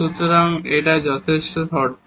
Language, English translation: Bengali, So, here this is the sufficient condition